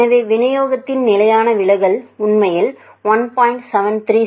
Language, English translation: Tamil, So, the standard deviation of the distribution actually comes out to be 1